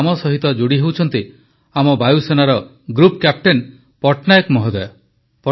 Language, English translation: Odia, That is why Group Captain Patnaik ji from the Air Force is joining us